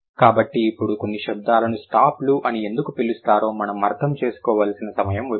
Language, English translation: Telugu, So now is time we need to understand why sudden sounds are known as stops